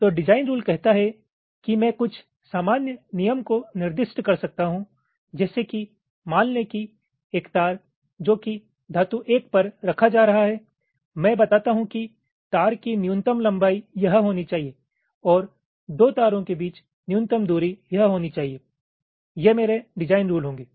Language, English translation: Hindi, so design rule says that, while i can specify some rule of the thumb, like, let say, a wire which is being laid out on, let say, metal one, i tell that the minimum length of the wire should be this and the minimum separation between two wires should be this: these will be my design rules